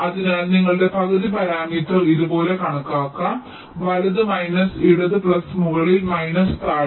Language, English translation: Malayalam, so your half parameter can be calculated like this: right minus left plus top minus bottom, so timing constraints